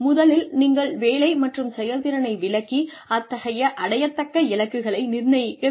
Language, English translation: Tamil, You define the job and performance and set achievable goals